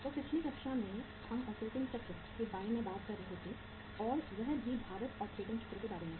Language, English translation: Hindi, So in the previous class we were talking about the uh operating cycle and that too about the weighted operating cycle